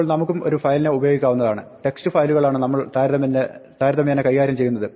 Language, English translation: Malayalam, Now, we can also consume a file, we are typically dealing with text files